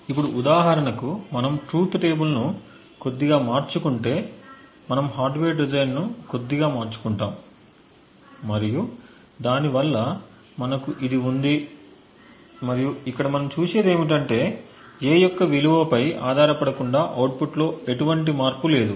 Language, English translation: Telugu, Now for example if we just change the truth table a little bit we change the hardware design a little bit and we actually have this and what we see over here is that independent of the value of A there is no change in the output